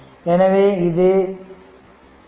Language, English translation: Tamil, So, c is 0